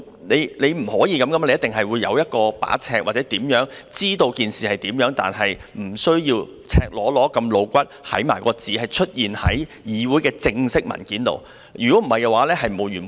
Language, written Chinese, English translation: Cantonese, 不可以這樣的，一定會有尺度，可以敍述事情而不需要讓赤裸裸、露骨的字眼出現在議會的正式文件裏，否則問題只會沒完沒了。, This is unacceptable . There must be a yardstick by which events can be recounted without the need to let blatant and revealing wording appear in the official papers of the Council otherwise the problem will never end